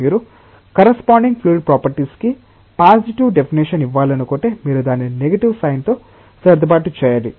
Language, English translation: Telugu, If you want to give the corresponding fluid property a positive number definition then you should adjust it with a negative sign